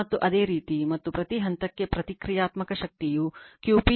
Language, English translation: Kannada, And the similarly, and the reactive power per phase will be Q p is equal to V p I p sin theta right